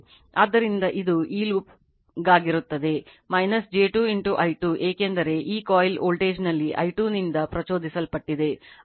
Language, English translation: Kannada, So, it will be for this loop it will be minus j 2 into your i 2 right, because in this coil voltage induced due to i 2, it will be minus j 2 into i 2 that is 10 angle 0 right